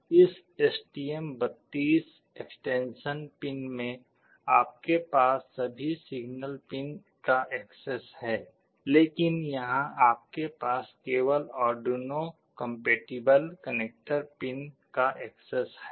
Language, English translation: Hindi, In the STM32 extension pins, you have access to all the signal pins, but here you have access to only the Arduino compatible connector pins